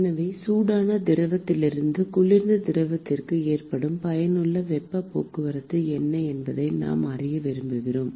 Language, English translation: Tamil, So, I want to know, what is the effective heat transport, that is occurred from the hot fluid to the cold fluid